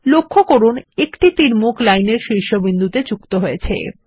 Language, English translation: Bengali, Note that an arrowhead has been added to the top end of the line